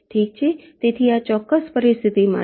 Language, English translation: Gujarati, ok, alright, so this is for this particular scenario